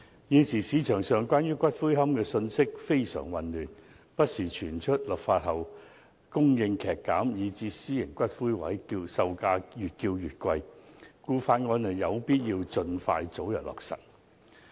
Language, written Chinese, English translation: Cantonese, 現時市場上關於骨灰安置所的信息非常混亂，不時傳出立法後供應劇減，以致私營骨灰龕位售價會越來越貴，所以有必要盡快通過《條例草案》。, At present confusing messages on columbaria have been circulated in the market . Rumour has it that the supply of niches will be substantially reduced after the enactment of legislation hence the selling prices of private niches have been surging . So it is essential to pass the Bill as soon as possible